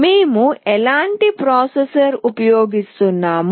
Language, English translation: Telugu, What kind of processor we are using